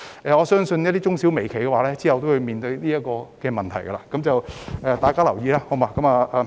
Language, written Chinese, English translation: Cantonese, 我相信中小微企日後將會面對這個問題，請大家留意。, Micro - small - and medium - sized enterprises are expected to face this problem in the future and should therefore pay attention to it